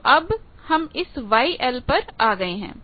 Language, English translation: Hindi, So, we have come to this Y 1